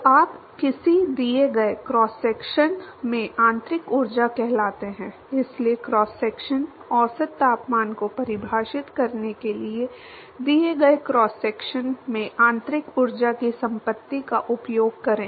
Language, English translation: Hindi, So, you use what is called the internal energy in a given cross section, so use the property of internal energy at given cross section to define the cross sectional average temperature